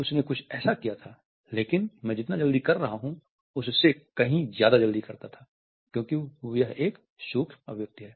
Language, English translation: Hindi, He does something like that, but he does it much more quickly than I am doing because it is a micro expression